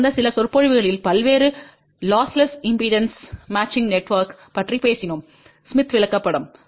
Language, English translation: Tamil, In the last few lectures we talked about various lossless impedance matching network using smith chart